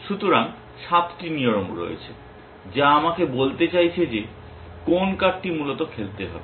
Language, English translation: Bengali, So, there are 7 rules which are trying to tell me which card to play essentially